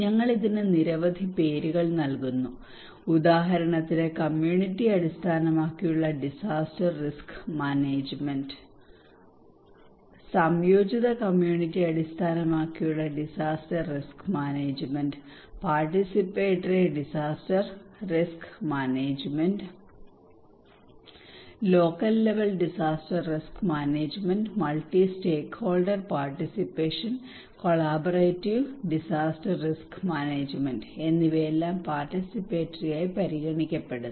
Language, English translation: Malayalam, We give it so many names for example community based disaster risk management CBDM, integrated community based disaster risk management, participatory disaster risk management, local level disaster risk management, multi stakeholder participations, collaborative disaster risk management they all are considered to be participatory, but they have a different name